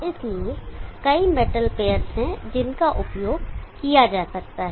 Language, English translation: Hindi, So there are many metal pairs that can be used